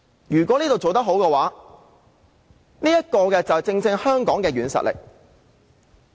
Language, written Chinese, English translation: Cantonese, 如果我們在這方面做得好，這正是香港的軟實力。, If we can do well in this respect this will be exactly where Hong Kongs soft power lies